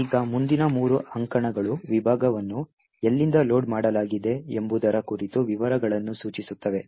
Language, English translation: Kannada, Now these three columns specify details about from where the segment was actually loaded from